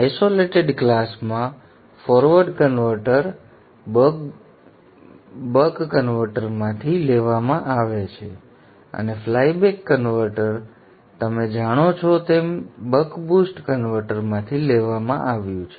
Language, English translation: Gujarati, The forward converter is derived from the buck converter and the flyback converter as you know has been derived from the buck boost converter